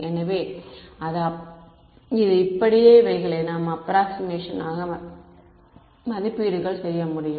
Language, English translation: Tamil, So, this is so, these are the approximations that we can do